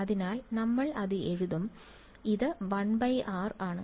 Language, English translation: Malayalam, So we will just write it down, so it is 1 by r